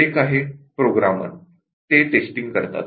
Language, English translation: Marathi, One is the Programmers, they do testing